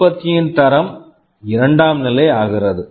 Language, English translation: Tamil, The quality of the product becomes secondary